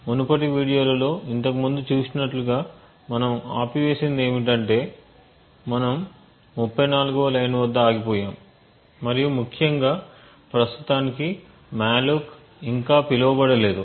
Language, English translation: Telugu, So what we have stopped as we have seen before in the previous videos is that we have stopped at line number 34 and importantly right now there is no malloc has been called as yet